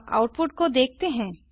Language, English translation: Hindi, Now let us see the output